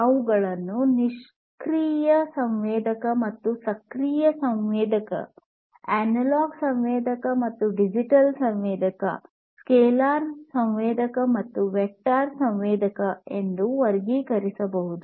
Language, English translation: Kannada, They could be classified as either passive sensor or active sensor, analog sensor or digital sensor, scalar sensor or vector sensor